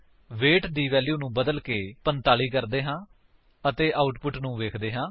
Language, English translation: Punjabi, Let us change the value of weight to 45 and see the output